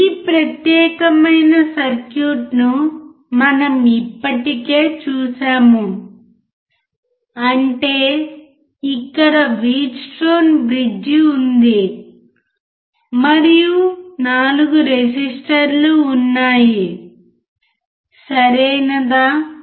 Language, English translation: Telugu, We have seen this particular circuit already right; that means, here there is a Wheatstone bridge, and there are 4 resistors, right